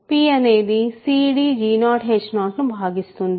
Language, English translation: Telugu, So, p divides c d g 0 h 0